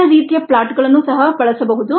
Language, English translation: Kannada, other types of plots can also be used